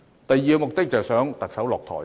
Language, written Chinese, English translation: Cantonese, 第二個目的是迫使特首下台。, For another they want to force the Chief Executive to step down